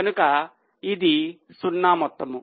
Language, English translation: Telugu, So, it comes to 0